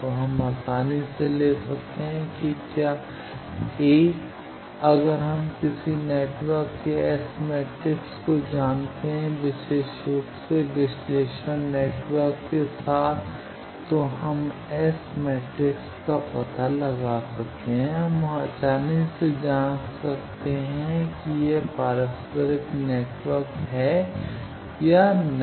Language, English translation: Hindi, So, we can easily take whether A, if we know S matrix of any network particularly with network analyzer, we can find out S matrix, we can easily check whether it is a reciprocal network or not